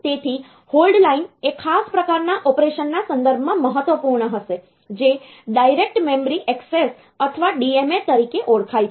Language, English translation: Gujarati, So, hold line will be it is important with respect to a special type of operation which are known as direct memory access or DMA